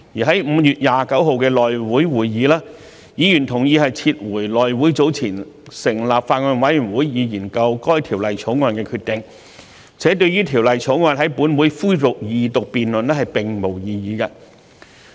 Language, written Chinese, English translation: Cantonese, 在5月29日的內務委員會會議，議員同意撤回內務委員會早前成立法案委員會以研究《條例草案》的決定，且對於《條例草案》在本會恢復二讀辯論並無異議。, In the meeting of the House Committee on 29 May Members agreed to rescind the House Committees earlier decision to form a Bills Committee to study the Bill and Members had no objection to the resumption of the Second Reading debate on the Bill